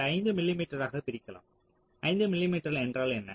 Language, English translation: Tamil, so if you divide five m m with this um, five m m means what